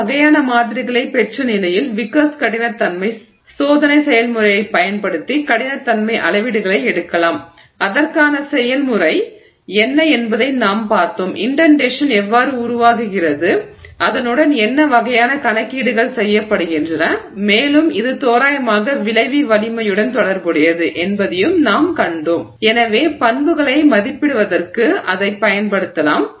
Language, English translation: Tamil, Having got that, having obtained those kinds of samples we can take hardness measurements using Vickers hardness testing process for which we just saw what is the process, how the indentation formed what kind of calculations are done with it and we also saw that it is approximately related to the yield strength and therefore we can use that for evaluating properties so between these set of steps experimentally we can evaluate or we can get the data together on the impact of grain size on the mechanical property